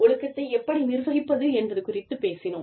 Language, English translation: Tamil, We talked about, how to administer discipline